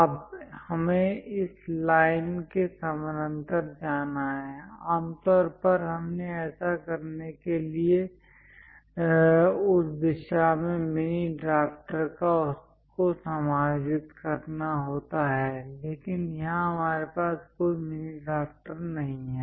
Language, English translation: Hindi, Now, we have to go parallel to this line; usually, we have mini drafter adjusted in that direction to do that, but here we do not have any mini drafter